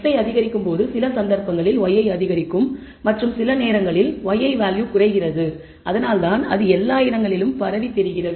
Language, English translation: Tamil, When x i increases maybe y i increases for some cases and y i decreases that is why it is spread in all over the place